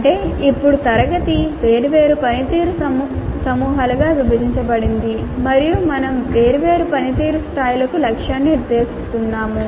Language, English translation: Telugu, That means now the class is being divided into the different performance groups and we are setting targets for different performance levels